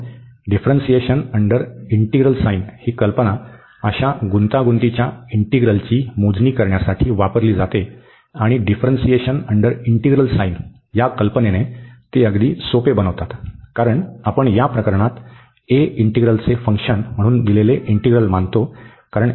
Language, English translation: Marathi, So, this idea of this differentiation under integral is very often used to compute such complicated integrals, and they become very simple with the idea of this differentiation under integration sign, because we consider actually in this case this integral the given integral as a function of a, because the a is there as the tan inverse